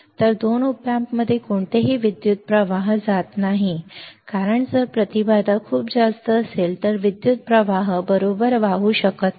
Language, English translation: Marathi, So, no current flows in two op amps right because if the impedance is very high then the current cannot flow right